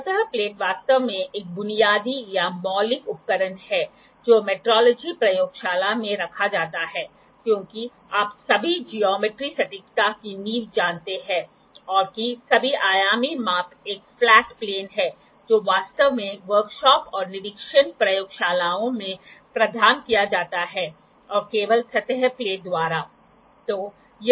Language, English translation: Hindi, Surface plate is actually the basic or fundamental, I can say tool that is kept in a metrology lab, because you know the foundation of all the geometric accuracy and all the dimensional measurement is a flat plane, which is actually provided in the work shop and inspection laboratories by the surface plate only